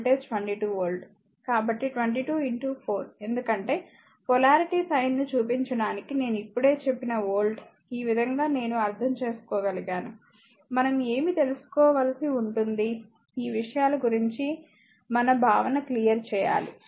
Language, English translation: Telugu, So, 22 into 4 because whatever volt I told you just now that to showing polarity sign, this way you can I means just you have just we have to your what you call, we have to clear our concept about all this things